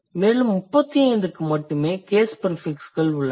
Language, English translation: Tamil, Out of 431 only 35 have case prefixes